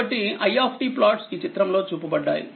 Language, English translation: Telugu, So, plot of i t is shown in this figure